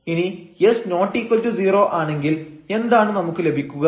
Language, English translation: Malayalam, So, suppose this s is not equal to 0 then what do we get here